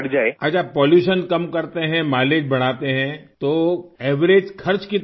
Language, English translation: Urdu, Ok, so if we reduce pollution and increase mileage, how much is the average money that can be saved